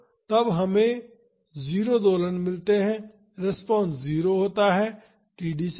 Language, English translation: Hindi, So, then we get 0 oscillations the response is 0 beyond td